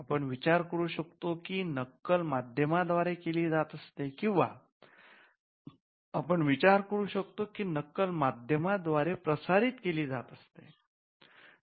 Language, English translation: Marathi, Now, we can think about copy is being made an on a medium or we can think of copy is being transmitted through a medium